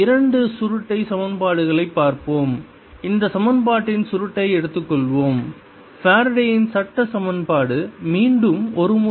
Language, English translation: Tamil, let us look at the two curl equations and take the curl of this equation, the faradays law equation